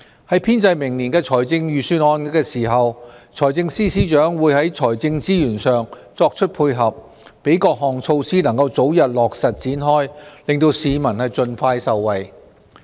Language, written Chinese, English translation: Cantonese, 在編製明年的財政預算案時，財政司司長會在財政資源上作出配合，讓各項措施能早日落實展開，令市民盡快受惠。, In compiling the Budget next year the Financial Secretary will provide financial resources correspondingly so that various initiatives can commence expeditiously and benefit members of the public as soon as possible